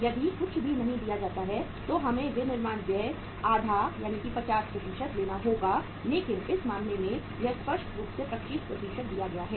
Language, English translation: Hindi, If nothing is given then you have we have to take the manufacturing expenses is half 50% but in this case it is clearly given it is 25%